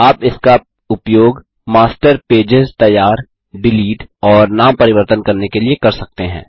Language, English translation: Hindi, You can use this to create, delete and rename Master Pages